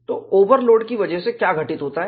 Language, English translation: Hindi, So, because of overload, what has happened